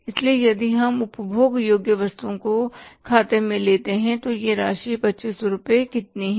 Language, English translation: Hindi, So, if you take that into account consumable items, this amount is how much